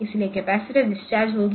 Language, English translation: Hindi, So, the capacitor will get discharged